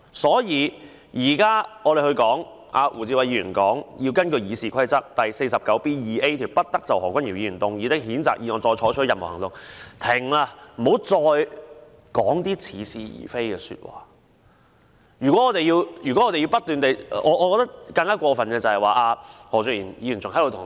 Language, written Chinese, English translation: Cantonese, 胡志偉議員現在根據《議事規則》第 49B 條提出議案，要求不得就何君堯議員動議的譴責議案再採取任何行動，就是希望事情到此為止，大家不要再說似是而非的話。, Mr WU Chi - wai has moved a motion under Rule 49B2A of the Rules of Procedure to request that no further action shall be taken on the censure motion moved by Dr Junius HO as he hopes that things will stop here and no more plausible statements will be made